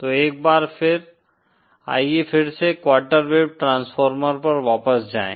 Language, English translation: Hindi, So once again, let’s go back to the quarter wave transformer for a moment